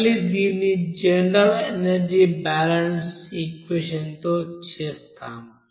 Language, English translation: Telugu, So, again we will do it by general energy balance equation